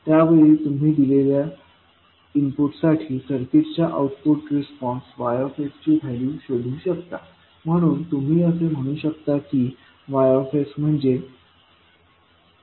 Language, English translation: Marathi, In that case you can find the value of Y s that is output response of this circuit with respect to given input, so you will say that Y s is nothing but H s into X s